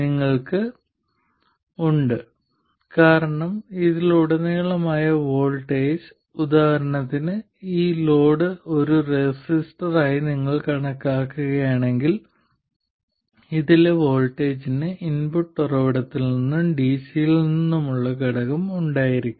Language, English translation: Malayalam, You will surely have an additional output power because the voltage across this, for instance if you consider this load as a resistor, the voltage across this will have components from the input source as well as the DC